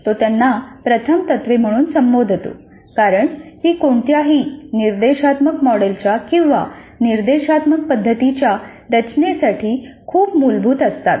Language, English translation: Marathi, He calls them as first principles because they are very basic to the design of any instructional model or instructional method